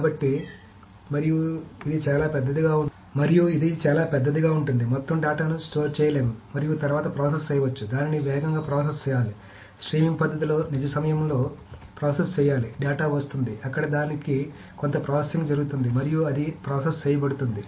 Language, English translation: Telugu, So and it can be so big that the entire data cannot be stored, cannot be stored and then processed upon it needs to be processed faster, it needs to be processed in real time in a streaming manner